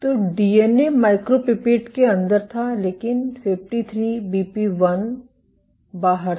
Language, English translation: Hindi, So, DNA was inside the micropipette, but 53BP1 was outside